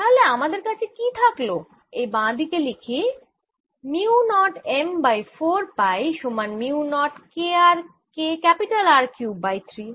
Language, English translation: Bengali, so what i am left with is i'll write on the left hand side: mu naught m over four pi is equal to mu naught k r cubed over three or